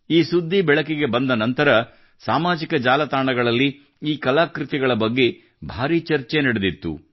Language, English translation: Kannada, After this news came to the fore, there was a lot of discussion on social media about these artefacts